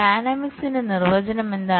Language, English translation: Malayalam, what is the definition of dynamics